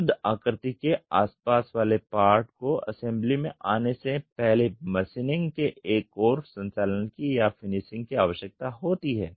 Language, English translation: Hindi, Near net shape needs one more operation of machining or finishing before the part gets into assembly